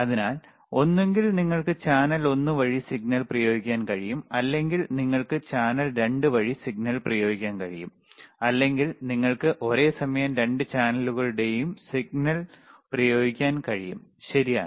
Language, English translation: Malayalam, So, either you can apply signal through channel one, or you can apply signal through channel 2, or you can apply signal through both channels simultaneously, right